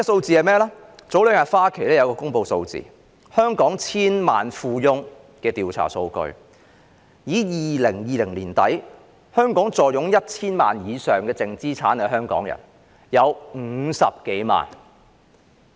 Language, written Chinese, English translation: Cantonese, 前兩天，花旗銀行公布了香港千萬富翁的調查數據，指在2020年年底坐擁 1,000 萬元以上淨資產的香港人有50多萬。, According to the survey data released by Citibank on Hong Kongs decamillionaires two days ago as at the end of 2020 more than 500 000 Hong Kong people owned net assets of at least 10 million each